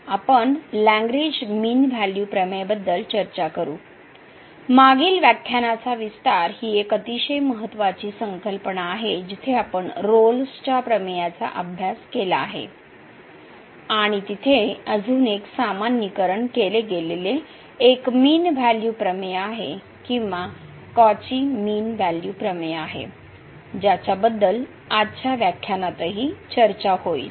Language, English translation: Marathi, So, we will discuss the Lagrange mean value theorem; a very important concept which is the extension of the previous lecture where we have a studied Rolle’s theorem and there is another generalized a mean value theorem or the Cauchy mean value theorem which will be also discussed in today’s lecture